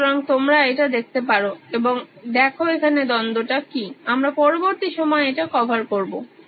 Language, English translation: Bengali, So you can look at it and see what the conflict are, we will cover this in the next time